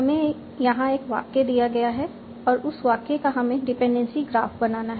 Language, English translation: Hindi, So, we are given an input sentence, I want to obtain a dependency graph for that sentence